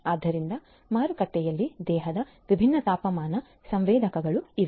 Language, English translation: Kannada, So, there are different body temperature sensors in the market